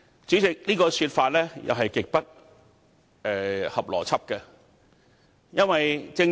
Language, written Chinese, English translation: Cantonese, 主席，這個說法也是極不合邏輯的。, President this view is grossly illogical